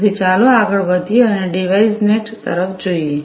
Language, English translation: Gujarati, So, let us now proceed further and to look at the DeviceNet